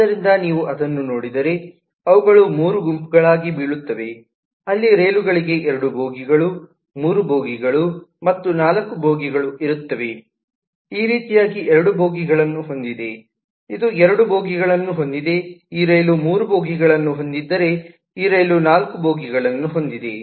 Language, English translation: Kannada, so if you look at that, then they will fall in three groups where trains with which have two bogies, three bogies and four bogies like this has two bogies, this has two bogies, whereas this train has three bogies, this train has four bogies, and so on